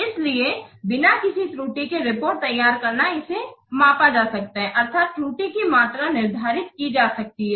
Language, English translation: Hindi, So producing the reports with no errors, of course, this can be measured and quantified